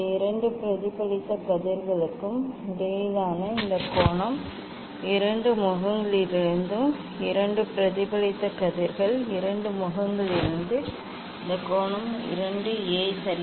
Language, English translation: Tamil, this angle between these two reflected rays two reflected rays from the two faces; from the two faces this angle is 2 A ok